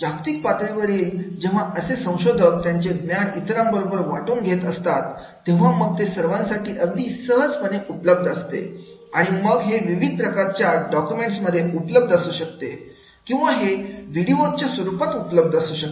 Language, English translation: Marathi, At the global level when the scholars, when they are sharing their knowledge and then that will be easily accessible and then it can be in the form of the documents and it can be in the form of the videos and therefore open access will be there